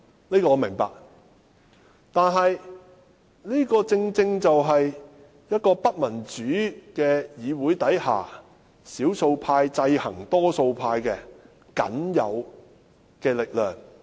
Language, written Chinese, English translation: Cantonese, 這個我明白，但是，這正正是在不民主的議會中，少數派制衡多數派的僅有力量。, But I must add that this is precisely the only power with which the minority can counterbalance the majority in this undemocratic Council